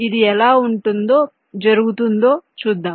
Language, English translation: Telugu, lets see how it happens